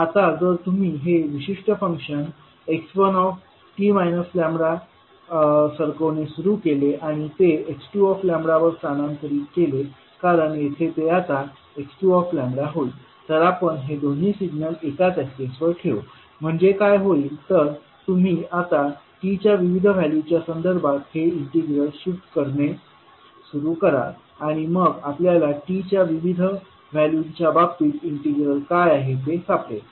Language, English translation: Marathi, now if you start moving this particular function that is x one t minus lambda and you shift over x2 lambda because here it will become now x2 lambda, so we will put both of these signal on the same axis so what will happen you will start now shifting this integral with respect to the various values of t and then we will find out what would be the integral in the cases of different values of t